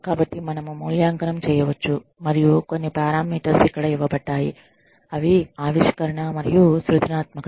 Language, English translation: Telugu, And, these are some of the parameters, that have been given here, which is innovation and creativity